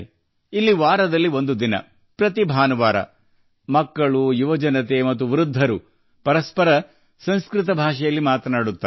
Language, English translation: Kannada, Here, once a week, every Sunday, children, youth and elders talk to each other in Sanskrit